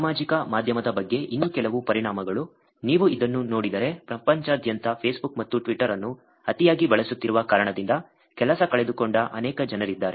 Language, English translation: Kannada, A few more implications about social media also, if you look at this one where there are many people around the world who lost the job because they have been using Facebook and Twitter too much